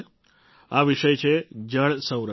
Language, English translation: Gujarati, It is the topic of water conservation